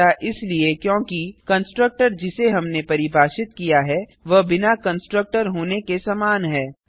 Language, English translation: Hindi, This is because the constructor, that we defined is same as having no constructor